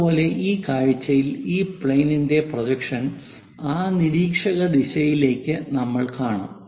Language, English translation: Malayalam, Similarly, projection of this plane onto that observer direction we will see this view